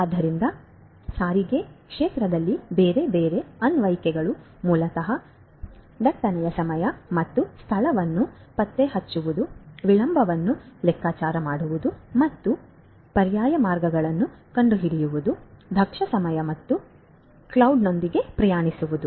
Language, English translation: Kannada, So, different other applications such as in the transportation you know transportation sector basically tracking the time and place of congestion, computing the delay and finding out alternate routes, commuting with efficient time and mode